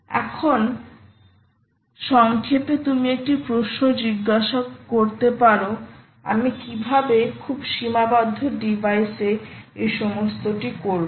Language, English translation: Bengali, now, in summary, you may now ask a question: how am i going to pull off all this on very constrained devices